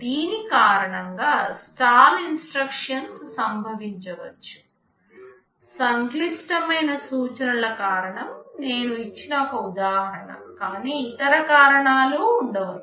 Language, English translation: Telugu, Stall instructions can occur due to this, one example I gave because of a complex instructions, but there can be other reasons